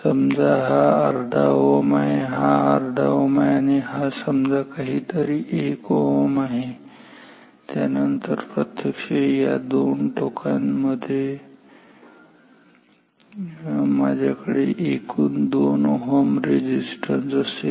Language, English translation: Marathi, If this is like say half ohm is this is like half a ohm and this small resistance is like 1 ohm then actually between these 2 terminals I have total of 2 ohm resistance